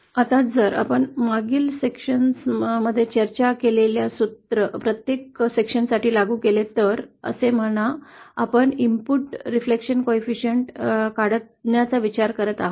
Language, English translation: Marathi, Now if we apply the formula we just discussed in the previous section to each section now, so say we are considering we want to find out the input reflection coefficient